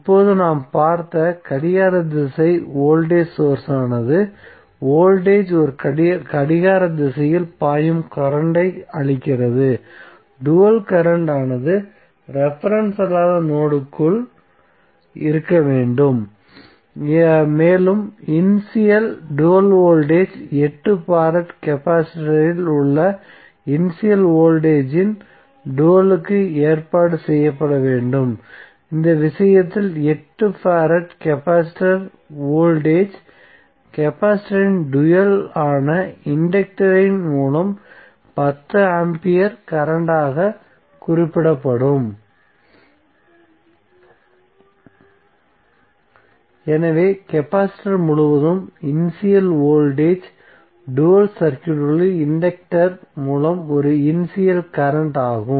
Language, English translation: Tamil, Now the clockwise voltage source which we have seen that means the voltage is giving the current which is flowing in a clockwise, so the dual would be current should be going inside the non reference node and provision must be made for the dual of the initial voltage present across 8 farad capacitor, so in this case what will happen the 8 farad capacitor voltage would be represented as 10 ampere current through the inductor which is the dual of the capacitor